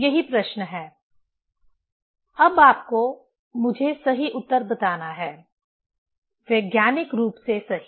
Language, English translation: Hindi, That is the problem; now you have to tell me right answer, scientifically right